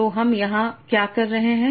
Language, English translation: Hindi, So we'll discuss what are these